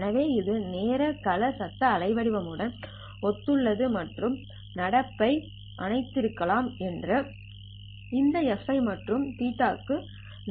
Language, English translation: Tamil, So this is in time domain it would correspond to noisy waveform and all that is happening is thanks to this fi and theta i